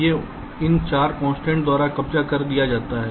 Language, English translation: Hindi, these are captured by these four constraints